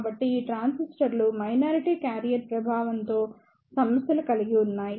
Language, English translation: Telugu, So, these transistor suffers from the minority carrier affect